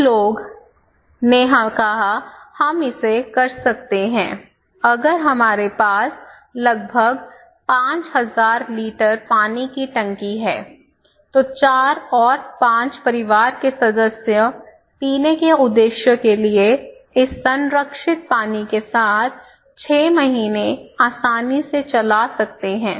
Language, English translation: Hindi, So, some people came up with that okay, we can do it, if we have around 5000 litre water tank, then if 4 and 5 members family can easily run 6 months with this preserved water for drinking purpose, okay